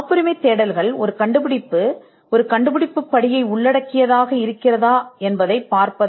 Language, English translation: Tamil, Patentability searches are directed towards seeing whether an invention involves an inventive step